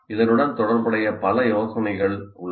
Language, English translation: Tamil, There are several ideas associated with this